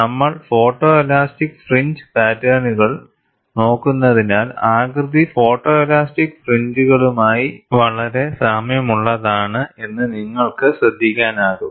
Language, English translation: Malayalam, Since we have been looking at photo elastic fringe patterns also, what you could notice is, the shape is very similar to photo elastic fringes